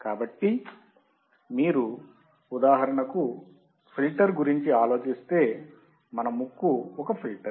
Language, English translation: Telugu, So, if you think about a filter for example, human nose is the filter